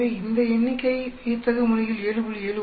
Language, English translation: Tamil, So, the number has gone down dramatically to 7